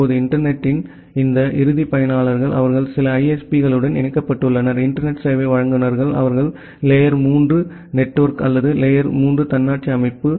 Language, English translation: Tamil, Now, this end users of the internet they are connected to certain ISPs; Internet Service Providers, they are kind of tier 3 network or tier 3 autonomous system